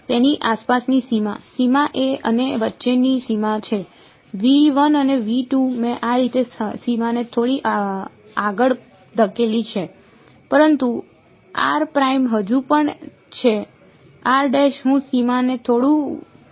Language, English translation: Gujarati, The boundary around it; the boundary is the boundary between V 1 and V 2 and I have I have pushed the boundary little bit this way, but r prime is still there; r prime is not moving I am moving the boundary a little bit